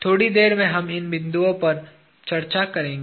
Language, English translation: Hindi, In a while, we will discuss about these points